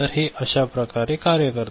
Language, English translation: Marathi, So, this is the way it works over here